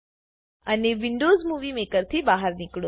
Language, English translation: Gujarati, And Exit Windows Movie Maker